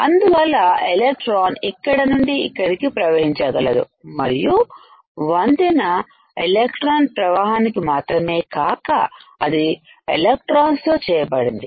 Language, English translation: Telugu, So, that the electron can flow from here to here also this bridge is not only for just facilitating the electron to flow, but this also made up of electrons